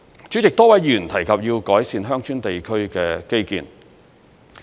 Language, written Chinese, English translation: Cantonese, 主席，多位議員提及要改善鄉村地區的基建。, President a number of Members mentioned the need to improve the infrastructures in rural villages